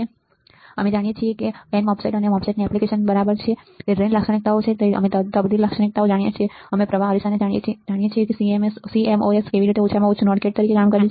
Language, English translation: Gujarati, We know and n MOSFET we knows the application of MOSFETs right, it is drain characteristics we know the transfer characteristics, we know the current mirror, we know how CMOS works at least as a not gate right